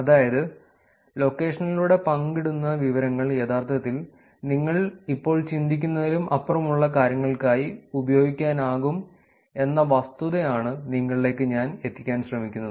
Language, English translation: Malayalam, So, that is a point I wanted to get across, which is that information that is shared through location can be actually used for things beyond what you think for now also